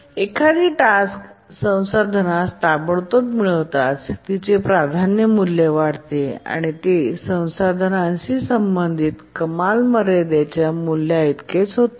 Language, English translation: Marathi, That as soon as a task acquires the resource, its priority, becomes equal to the ceiling value associated with the resource